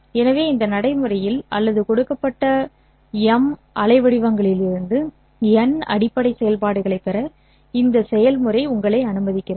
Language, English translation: Tamil, So in this procedure or this procedure allows you to get n basis functions from a given M waveforms